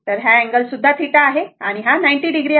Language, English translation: Marathi, Then, this angle is also theta and this is 90 degree